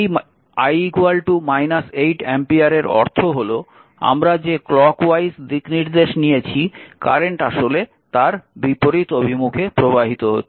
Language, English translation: Bengali, So, when i is equal to minus 8 ampere means , actually current actually we have taken clock wise direction actually current at flowing in a other way